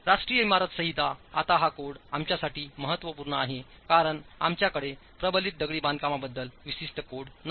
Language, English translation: Marathi, The National Building Code is important for us because we do not have a dedicated code on reinforced masonry, not a dedicated code on confined masonry